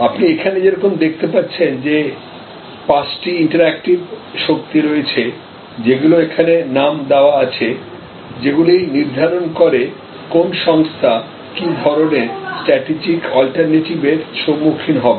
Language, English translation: Bengali, So, as you see here there are five interactive forces which are named here, which determine the strategic alternatives facing an organization